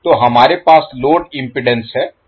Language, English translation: Hindi, So, we have load impedance as given